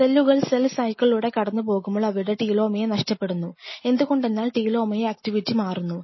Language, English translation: Malayalam, Every time a cell is going through this cycle it loses I told you part of it is telomere because telemeter is activity changes